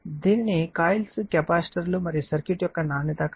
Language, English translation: Telugu, So, the quality factor of coils capacitors and circuit is defined by